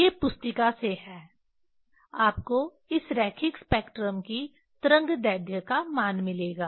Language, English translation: Hindi, These are from the handbook you will get this value of the wavelength of this line spectra